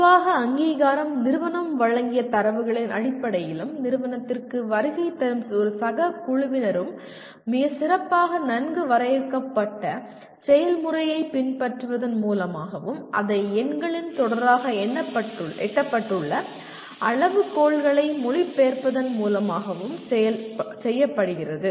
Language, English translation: Tamil, And generally the accreditation is done by based on the data provided by the institution and as well as a peer team visiting the institution as following a very well, well defined process and to translate that into a series of numbers which state that to what extent the criteria have been attained